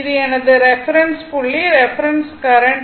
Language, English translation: Tamil, This my reference point reference, current